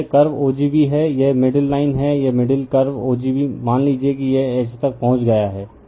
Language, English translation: Hindi, So, this is the curve o g b right, this is the middle line right, this middle your curve right o g b right, suppose it has reach up to H